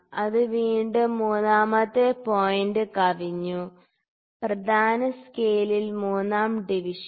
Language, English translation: Malayalam, So, it has again exceeded the third point third division on the main scale